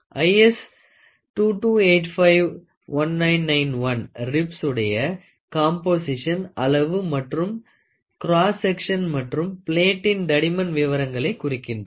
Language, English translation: Tamil, IS 2285 1991, specifies the composition size and the cross sectional details of the rib and the thickness of the plate